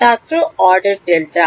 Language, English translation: Bengali, Order delta order delta